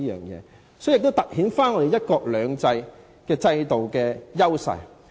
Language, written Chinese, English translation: Cantonese, 這樣做也凸顯了"一國兩制"的優勢。, This approach also shows the strength of one country two systems